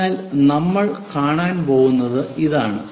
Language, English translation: Malayalam, So, what we are going to see is this one